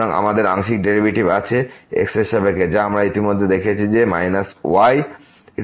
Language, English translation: Bengali, So, we have the partial derivative with respect to which we have already seen here minus power minus